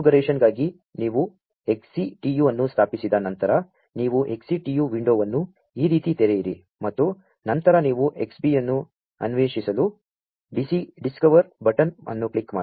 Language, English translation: Kannada, So, for configuration, you know after you have installed XCTU you open the XCTU window like this and then you click on the discover button to discover the Xbee